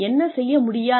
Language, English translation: Tamil, What they are doing